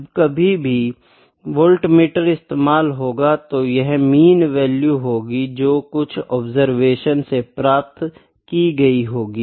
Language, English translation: Hindi, Whenever the voltmeter is used, this is actually the mean value; this is a mean value from certain number of observations